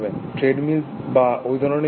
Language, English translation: Bengali, Treadmill or something